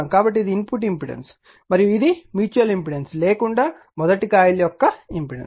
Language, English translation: Telugu, So, this is input impedance and this is the impendence of the coil 1 without mutual inductance right